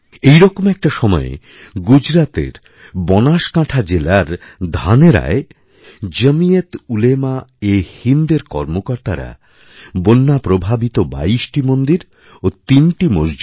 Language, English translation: Bengali, That is when, in Dhanera in the Banaskantha District of Gujarat, volunteers of JamiatUlemaeHind cleaned twentytwo affected temples and two mosques in a phased manner